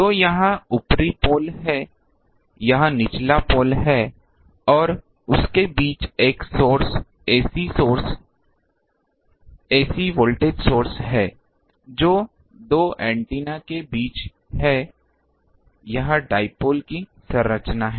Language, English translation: Hindi, So, this is the upper pole this is the lower pole and between them there is a source ac source, ac voltage source, which is there between the 2 antennas this is the structure of dipole